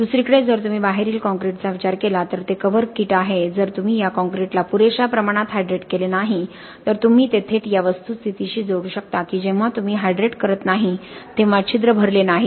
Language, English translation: Marathi, On the other hand if you consider this concrete that is outside that is cover crete if you do not hydrate this concrete well enough you can directly then link it back to the fact that when you do not hydrate the pores do not get filled up and if the pores are not getting filled up your permeability is going to be severely affected